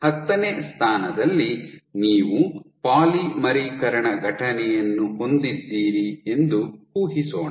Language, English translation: Kannada, Let us assume at position 10 you have a polymerization event